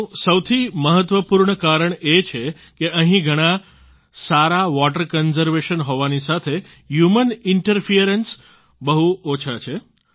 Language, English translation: Gujarati, The most important reason for this is that here, there is better water conservation along with very little human interference